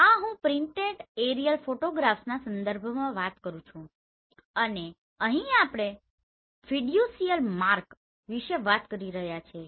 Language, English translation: Gujarati, This I am talking with respect to printed aerial photographs right and here we are talking about Fiducial mark